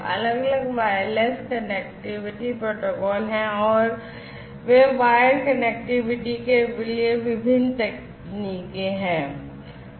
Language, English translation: Hindi, These are the different wireless connectivity protocols and these are the different, you know, technologies for wired connectivity